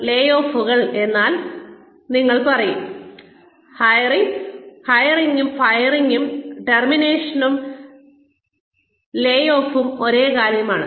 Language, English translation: Malayalam, Layoffs, you will say, hiring and firing, termination and layoff, is the same thing